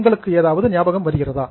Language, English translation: Tamil, Do you remember what it is